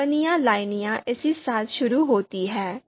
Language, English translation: Hindi, Comments lines begin with this